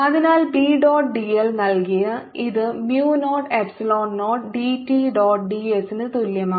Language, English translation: Malayalam, so which is given by b dot d l, this is equal to mu naught, epsilon naught, d e by d t dot d s